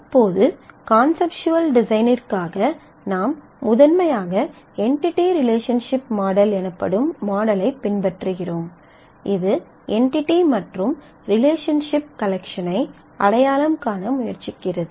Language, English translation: Tamil, Now, in this for the conceptual design we primarily follow a model called entity relationship model; that tries to identify the collection of entities and relationships